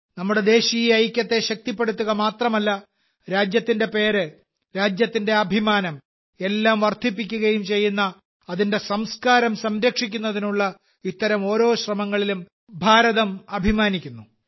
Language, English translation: Malayalam, India is proud of every such effort to preserve her culture, which not only strengthens our national unity but also enhances the glory of the country, the honour of the country… infact, everything